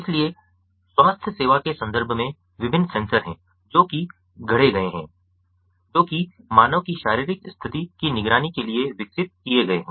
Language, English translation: Hindi, so in the context of healthcare, there are different sensors that have been fabricated, that has, that have been developed to monitor the physiological condition of human beings